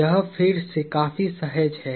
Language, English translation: Hindi, This is again fairly intuitive